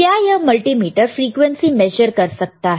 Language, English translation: Hindi, Now, can this multimeter measure frequency